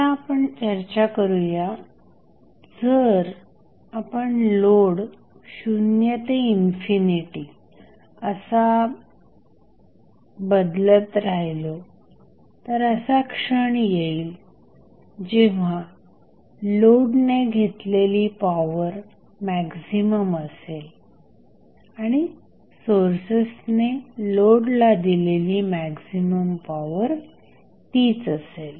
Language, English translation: Marathi, Now, we also discuss that, if you keep on changing the load, from 0 to infinity, there would be 1 condition at which your power being absorbed by the load is maximum and that is the power being given to the load by the sources is maximum